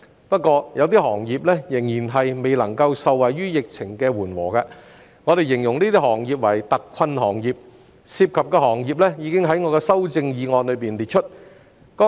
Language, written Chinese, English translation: Cantonese, 不過，有部分行業仍然未能夠受惠於疫情的緩和，我們形容這些行業為特困行業，涉及的行業已在我的修正案中列出。, However some industries are still unable to benefit from the mitigation of the epidemic . We describe these industries as hard - hit industries . The industries involved have been set out in my amendment